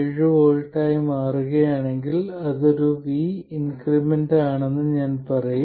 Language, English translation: Malayalam, 7 volts, I will say that it is 1 volt increment over 5